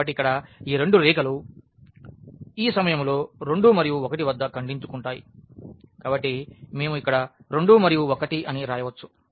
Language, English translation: Telugu, So, here these 2 lines intersect at this point here are 2 and 1; so, we can write down here 2 and 1